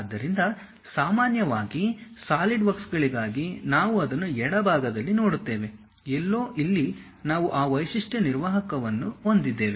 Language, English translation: Kannada, So, usually for Solidworks we see it on the left hand side, somewhere here we have that feature manager